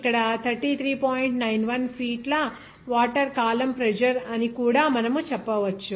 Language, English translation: Telugu, 91 feet of water column pressure there